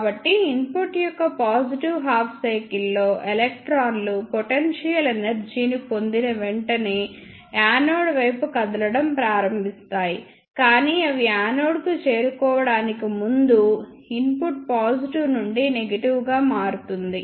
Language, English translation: Telugu, So, as soon as electrons get potential energy in positive half cycle of the input that starts moving towards the anode, but before it could reach to the anode, the input changes from positive to negative